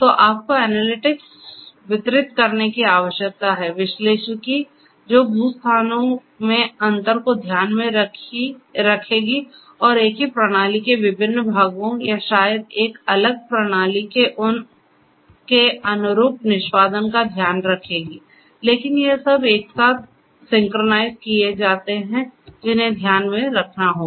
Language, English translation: Hindi, So, you need to have distributed analytics; analytics which will take into account the differences in the geo locations and their corresponding executions of the different parts of the same system or maybe of a different system, but are synchronized together that has to be taken into consideration